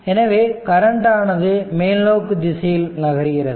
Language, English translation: Tamil, So, as we have taken the direction of the current moving upward